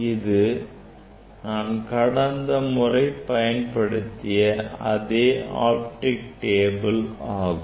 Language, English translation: Tamil, this is the same optical table as last time we have used